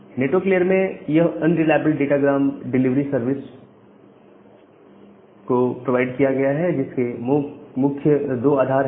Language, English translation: Hindi, Now, in network layer this unreliable datagram delivery service, which is being provided that has 2 primary basis